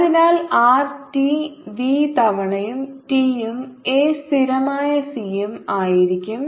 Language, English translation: Malayalam, so r t will be v times t plus a constant c